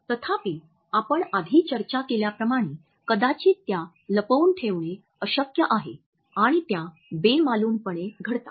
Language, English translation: Marathi, However, as we have discussed earlier it is perhaps impossible to conceal them and they occur in an unconscious manner